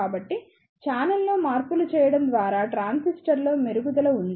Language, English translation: Telugu, So, there is a improvement on transistor by making the changes in the channel